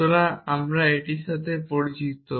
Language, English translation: Bengali, So, we are familiar with this